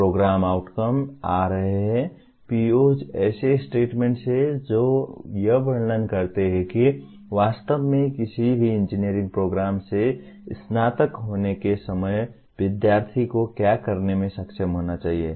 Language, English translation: Hindi, Coming to the other one namely Program Outcomes, POs are statements that describe what the student should be able to do at the time of graduation from actually any engineering program